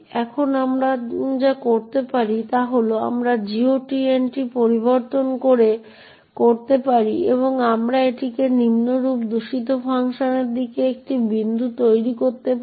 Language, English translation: Bengali, Now, what we can do is we could modify the GOT entry and we could make it a point to the malicious function as follows, so what we do is set int, GOT entry is this